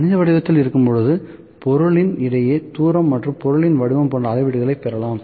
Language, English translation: Tamil, When mathematical form the readings can be obtained like the distance between the object and the shape of the object